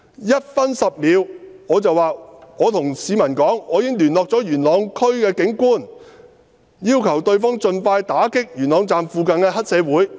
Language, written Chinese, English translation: Cantonese, 1分10秒：我對市民說："我已經聯絡了元朗區的警官，要求對方盡快打擊元朗站附近的黑社會。, At 1 minute 10 second I said to the people I have called the Police of Yuen Long District asking for speedy crack down on the triads in the vicinity of Yuen Long Station